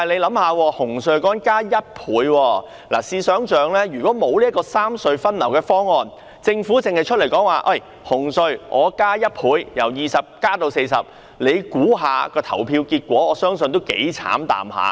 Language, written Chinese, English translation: Cantonese, 不過，大家試想象，如果沒有三隧分流的方案，政府只說紅隧加價1倍，由20元增至40元，表決結果將會如何？, Nevertheless just imagine that if there is no proposal for the rationalization of traffic distribution among the three RHCs and the Government just proposes to double the toll of CHT from 20 to 40 what will the voting results be?